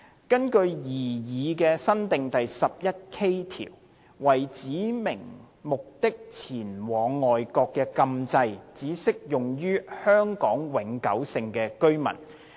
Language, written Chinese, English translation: Cantonese, 根據擬議新訂的第 11K 條，為指明目的前往外國的禁制只適用於香港永久性居民。, Under the proposed new section 11K the prohibition on travelling for a specified purpose would apply to Hong Kong permanent residents only